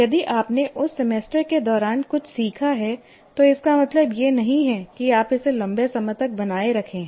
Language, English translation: Hindi, If you have learned something during that semester, it doesn't mean that you are retaining it for a long term